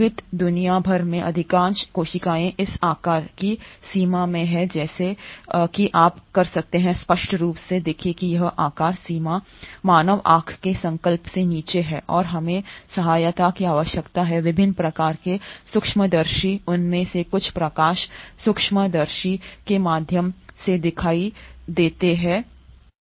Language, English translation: Hindi, Most of the cells across the living world are in this size range and as you can obviously see this size range is way below the resolution of human eye and we need the aid of different kinds of microscopes, some of them are visible through light microscopes some of them arenÕt